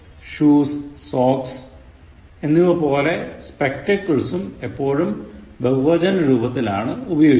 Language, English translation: Malayalam, Spectacles, like shoes and socks are always used in the plural